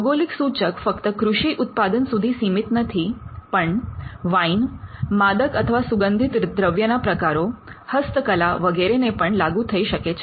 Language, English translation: Gujarati, A GI is not limited to agricultural products it extends to other products like wine, spirits, handicrafts etcetera